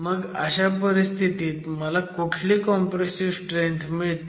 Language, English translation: Marathi, So, question is what compressive strength do I get